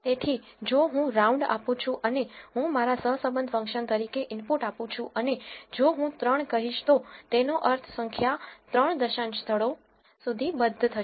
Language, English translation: Gujarati, So, if I give round and I am giving the input as my correlation function and if I am saying 3 it means round of the number to 3 decimal places